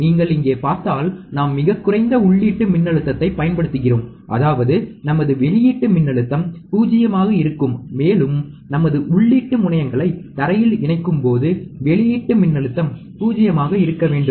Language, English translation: Tamil, If you see here, we are applying a small amount of input voltage, such that my output voltage will be 0 and when we connect both my input terminals to ground, the output voltage should be 0